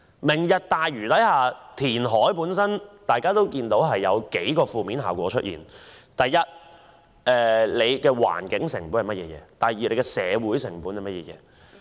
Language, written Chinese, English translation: Cantonese, "明日大嶼"填海會有數個負面效果：第一，環境成本；第二，社會成本。, The reclamation projects under the Lantau Tomorrow plan will have a number of adverse effects . First environmental cost and second social cost